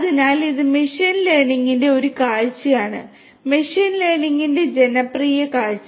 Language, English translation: Malayalam, So, this is one view of machine learning, a popular view of machine learning